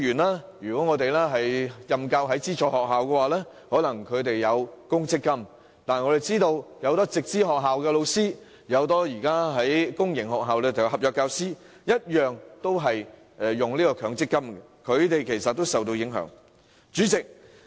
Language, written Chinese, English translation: Cantonese, 在資助學校任教的僱員，很可能會享有公積金；但很多在直資學校任教的教師，以及在公營學校任教的合約教師，同樣要向強積金供款，因此他們均會受到影響。, Although teachers in aided schools are very likely to enjoy provident fund benefits many teachers in Direct Subsidy Scheme schools or contract teachers in public sector schools are required to make MPF contributions . Hence they will be affected too